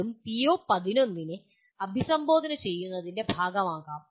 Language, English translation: Malayalam, That also is a part of, can be part of addressing PO11